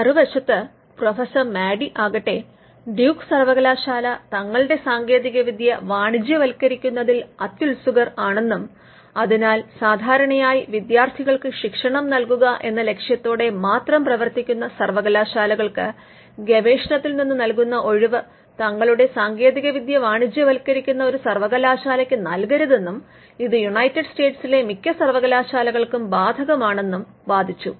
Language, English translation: Malayalam, Professor Madey on the other hand a list that Duke University was aggressive in commercializing their technology and hence, the research exception which is normally open for a university which would normally be used for instructing students should not be opened for a university that commercialize its technology and this was true for all the leading universities in the United States